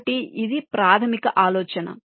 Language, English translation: Telugu, so this is the basic idea